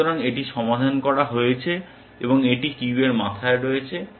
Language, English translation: Bengali, So, this is solved and it is at the head of the queue